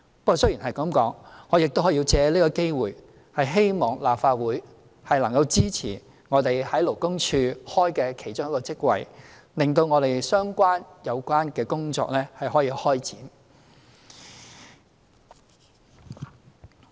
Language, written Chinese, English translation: Cantonese, 不過，話雖如此，我亦要藉此機會希望立法會能夠支持我們在勞工處開設的一個首席勞工事務主任職位，令有關工作可以開展。, That said I would take this opportunity to appeal to the Legislative Council to support our proposed creation of a Chief Labour Officer post in the Labour Department so that the work concerned can be commenced